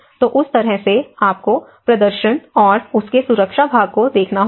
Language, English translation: Hindi, So, in that way, you have to look at the performance and the safety part of it